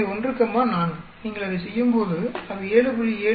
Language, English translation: Tamil, So, 1 comma 4, it comes out to be 7